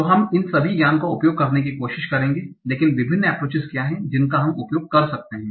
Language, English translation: Hindi, So we will try to use all this knowledge, but what are the various approaches that we can use